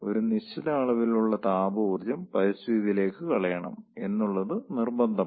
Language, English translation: Malayalam, so the some amount of thermal energy has to be dumped to the atmosphere